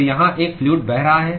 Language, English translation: Hindi, So, there is a fluid which is flowing here